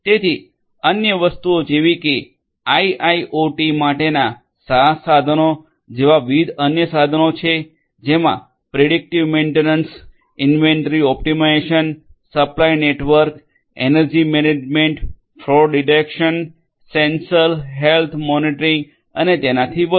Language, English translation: Gujarati, So, the other things are the different other tools like the SaaS tools for IIoT specifically performing things such as predictive maintenance, inventory optimisation, supply network, energy management, fraud detection, sensor health monitoring and so on